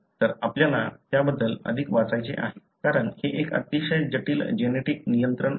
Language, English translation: Marathi, So, you may want to go and read more on that, because it is a very complex genetic control